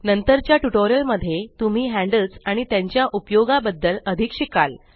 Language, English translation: Marathi, You will learn more about handles and their use in the later tutorials